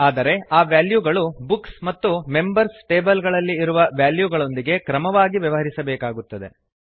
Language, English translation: Kannada, But, they will need to correspond to the same values as we have in the Books and Members tables respectively